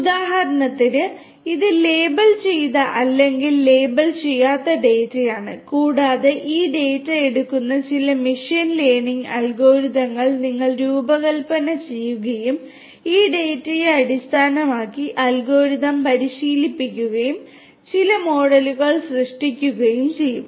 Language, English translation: Malayalam, You need some kind of training data this is basically the past historical data for instance which are labeled or unlabeled data and you design certain machine learning algorithms which will take this data, train the algorithms based on this data and will create certain models